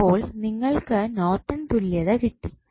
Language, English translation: Malayalam, So, what Norton's equivalent you will get